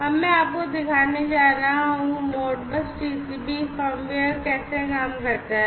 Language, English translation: Hindi, So, I am going to show you, how this Modbus; Modbus TCP firmware works